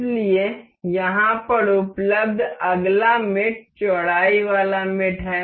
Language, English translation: Hindi, So, the next mate available over here is width mate